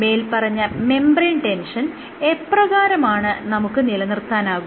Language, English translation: Malayalam, So, how can you maintain the membrane tension cost